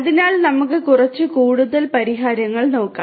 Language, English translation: Malayalam, So, let us look at few more solutions